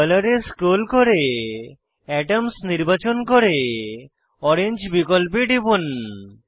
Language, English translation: Bengali, Scroll down to Color, select Atoms and click on Orange option